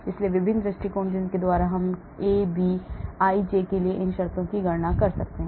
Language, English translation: Hindi, So different approaches by which we can calculate these terms for AB ij